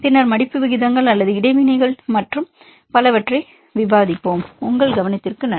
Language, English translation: Tamil, And then we will discuss about the folding rates or interactions and so on Thanks for your attention